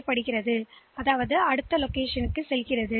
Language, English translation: Tamil, So, that it goes to the next location